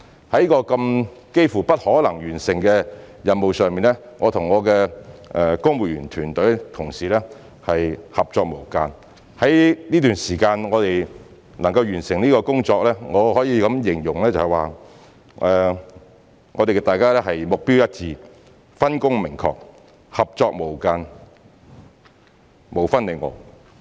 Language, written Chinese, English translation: Cantonese, 在這個幾乎不可能完成的任務上，我和我的公務員團隊同事合作無間，能夠在這段時間完成工作，我可以形容大家是目標一致、分工明確、合作無間、無分你我。, In this almost impossible mission my civil servant colleagues and I managed to complete the task on time by working closely together . I can say we have a common goal clear division of duties and responsibilities and good teamwork by coming all together as one